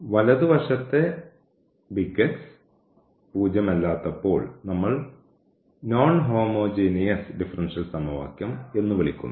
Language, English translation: Malayalam, So, when this X is not 0 we call the non homogeneous equation, when this X is 0 we call as homogeneous differential equation